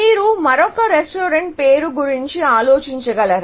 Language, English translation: Telugu, Can you think of another restaurant name